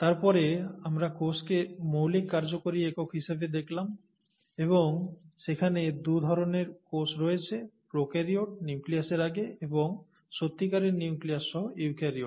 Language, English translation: Bengali, And then, we looked at the cell as the fundamental functional unit and there being two types of cells, prokaryotes, before nucleus, and eukaryotes, with a true nucleus